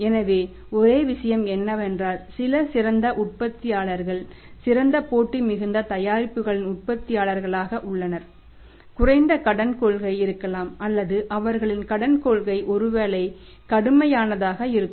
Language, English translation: Tamil, So, only thing is that some excellent manufacturers are the manufacturers of the excellent highly competitive products makeup the lesser credit where credit policy maybe tight or their credit policy maybe stringent